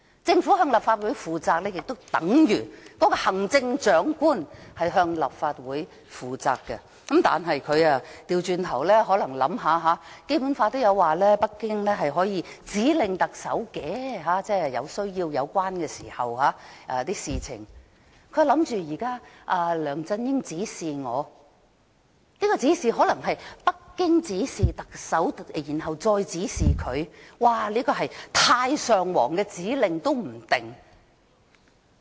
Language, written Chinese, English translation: Cantonese, 政府須向立法會負責，便等同行政長官須向立法會負責，但他卻倒過來，可能因為他想到《基本法》提到北京在有需要時可以就有關事情指令特首，於是想到梁振英現時指示他，可能因為北京指示特首再指示他，說不定這是太上皇的指示。, If the Government shall be accountable to the Legislative Council it means that the Chief Executive shall be accountable to the Legislative Council . But he has turned it the other way round . As the Basic Law mentions that Beijing may issue directives to the Chief Executive when necessary he may think that the directives he now received from LEUNG Chun - ying indirectly come from Beijing as Beijing has issued directives to LEUNG Chun - ying and then LEUNG Chun - ying has given directives to him hence those directives may come from the supreme ruler